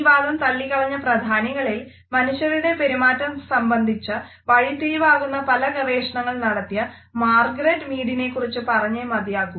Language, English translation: Malayalam, Among the prominent people who had rejected this idea we also have to mention the name of Margaret Mead who is also known for otherwise path breaking research in the field of human behavior